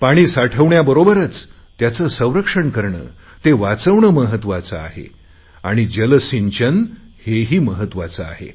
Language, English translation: Marathi, And so water storage, water conservation and proper water irrigation are all of equal importance